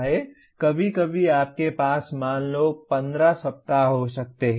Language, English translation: Hindi, Sometimes you may have let us say 15 weeks